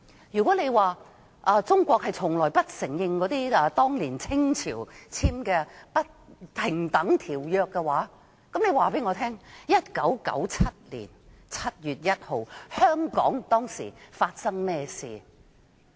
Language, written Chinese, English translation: Cantonese, 如果說中國從不承認當年清政府簽訂的不平等條約，請告訴我 ，1997 年7月1日香港當時發生甚麼事？, If China never acknowledges the unequal treaties signed by the Qing Government at that time then tell me what happened in Hong Kong on 1 July 1997? . On that day there was a hubbub in the city with beating of gongs and drums